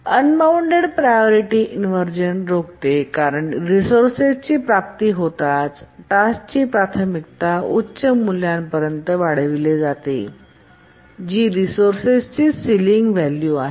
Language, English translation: Marathi, And also it prevents unbounded priority inversion because the task's priority as soon as it acquires the resource increased to high value which is the ceiling of the resource